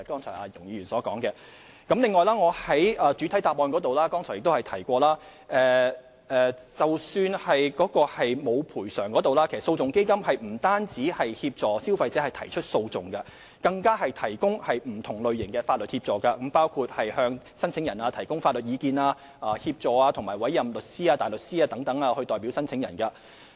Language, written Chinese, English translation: Cantonese, 此外，我剛才在主體答覆中提到，即使個案並無賠償可能，但在商戶倒閉前，基金其實不但會協助消費者提出訴訟，更會提供不同類型的法律協助，包括為申請人提供法律意見，以及協助委任律師或大律師代表申請人。, Moreover as I said in the main reply earlier even for cases with no recovery prospect before the closure of the shops the Fund will not only assist consumers in initiating legal proceedings but also provide various kinds of legal assistance which can be in the form of legal advice and assistance for representation by a solicitor or counsel